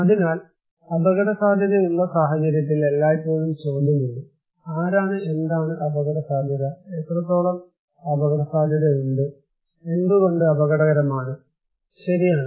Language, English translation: Malayalam, So, in case of risk perception, always there is the question; who, what is risky, what extent is risky, why risky, right